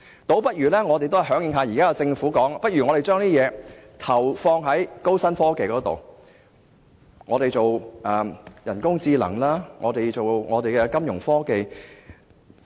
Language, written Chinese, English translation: Cantonese, 倒不如響應政府現時所說，把資源投放在高新科技上，發展人工智能、金融科技等。, Perhaps they should respond to the Governments call and make investments on the development of new and high - tech industries artificial intelligence AI Fintech and so on